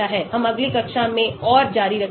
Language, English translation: Hindi, We will continue more in the next class